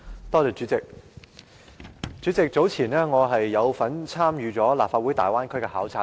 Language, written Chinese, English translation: Cantonese, 代理主席，早前我有份參與立法會粵港澳大灣區的考察團。, Deputy President earlier I joined the delegation of the Legislative Council to the Guangdong - Hong Kong - Macao Bay Area